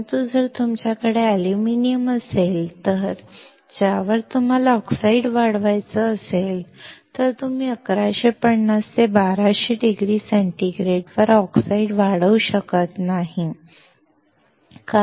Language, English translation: Marathi, But, if you have aluminum on which you want to grow oxide, then you cannot grow oxide at 1150 or 1200 degree centigrade, because the aluminum will melt